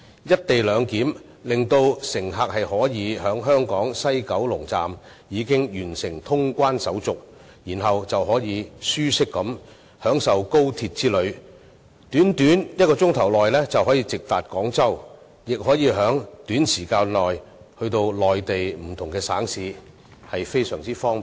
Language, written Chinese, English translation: Cantonese, "一地兩檢"讓乘客可以在香港西九龍總站完成通關手續，然後便可舒適地享受高鐵之旅，短短1小時便可直達廣州，亦可在短時間內到達內地不同省市，非常方便。, The co - location arrangement will allow passengers to complete clearance procedures at the West Kowloon Terminus in Hong Kong after which they may comfortably enjoy their ride on XRL directly running to Guangzhou in just an hours time and reaching various Mainland provinces in a short period of time which is very convenient